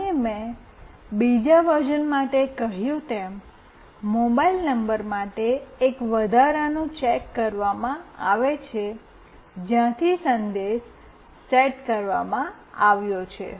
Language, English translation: Gujarati, And as I said for the second version, an additional check is made for the mobile number from where the message has been set